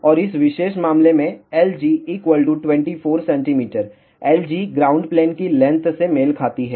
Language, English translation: Hindi, And, in this particular case L g is equal to 24 centimeter L g corresponds to length of the ground plane